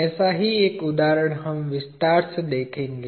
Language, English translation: Hindi, One such example we will see in detail